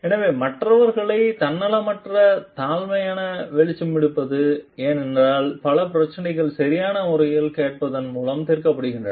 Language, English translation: Tamil, So, caring for others and it is a selfless humble listening because, many problems are solved by proper listening it may